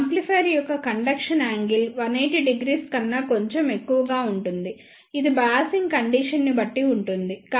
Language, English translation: Telugu, The conduction angle of these amplifier is slightly greater than 180 degree, it depends upon the biasing situation